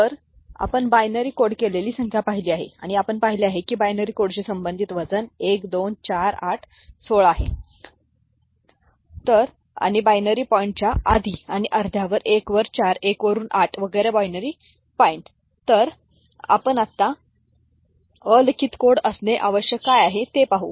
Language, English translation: Marathi, So, we have seen binary coded number and we have seen that the weight associated with binary code is 1, 2, 4, 8, 16, so on and so forth before the binary point and half, 1 upon 4, 1 upon 8 etcetera after the binary point